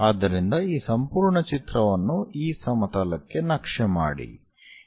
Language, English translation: Kannada, So, map this entire stuff onto this plane